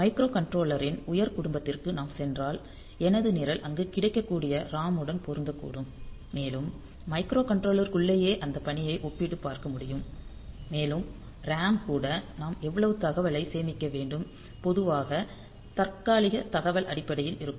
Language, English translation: Tamil, So, we can have if we take if we go for a higher family of microcontroller then possibly my program will fit into the ROM that is available there and will be able to compare hold that task within the microcontroller itself, and the RAM also like how much of data that we need to store the basically the temporary data that we have so how much of those temporary data that we need to store